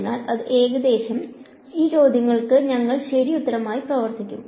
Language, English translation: Malayalam, So, that is about; so, these are the questions that we will work with ok